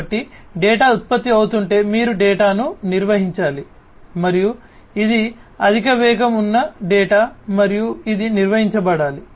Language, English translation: Telugu, So, if the data is getting generated you have to handle the data and this is a high velocity data that is coming in and that has to be handled